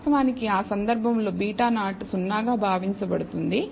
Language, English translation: Telugu, Of course, beta 0 in that case is assumed to be 0